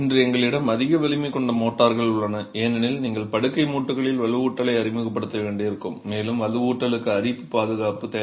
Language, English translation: Tamil, Today we also have high strength motors and high strength motors made primarily because you might have to introduce reinforcement in the bed joints and you need corrosion protection for the reinforcement